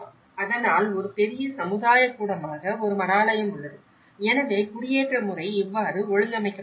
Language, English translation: Tamil, And so that, there is a monastery as a major community gathering, so this is how the settlement pattern has been organized